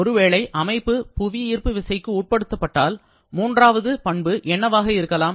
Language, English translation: Tamil, Like suppose, if your system is subjected to gravitation acceleration, then what can be the third property